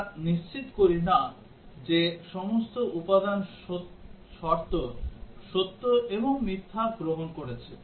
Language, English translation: Bengali, We do not ensure that all component conditions have taken true and false